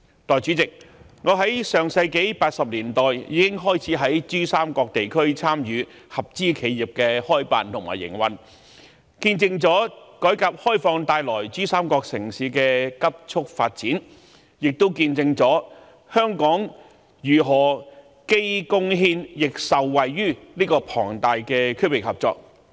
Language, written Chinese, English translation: Cantonese, 代理主席，我在上世紀1980年代已開始於珠三角地區參與合資企業的開辦和營運，見證了改革開放為珠三角城市帶來的急促發展，亦見證了香港如何既貢獻亦受惠於這個龐大的區域合作。, Deputy President since the 1980s of the last century I have taken part in the establishment and operation of joint ventures in the Pearl River Delta PRD region and witnessed the rapid development of the PRD cities under the reform and opening up of our country and also witnessed how Hong Kong contributed to and benefited from this enormous regional cooperation